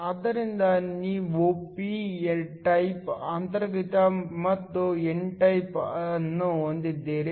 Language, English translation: Kannada, So, you have a p type intrinsic and an n type